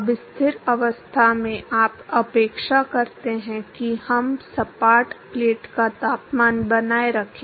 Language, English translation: Hindi, Now at steady state, you expect that we should maintain the temperature of the flat plate